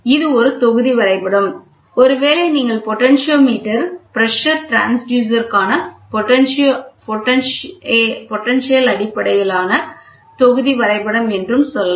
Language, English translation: Tamil, This is a block diagram for maybe you can say potentio based block diagram for potentiometer, pressure transducer